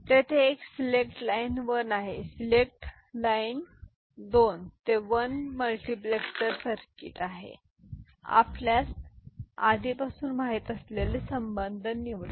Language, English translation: Marathi, So, there is a select line 1, select line right 2 to 1 multiplexer circuit and the relationship we already know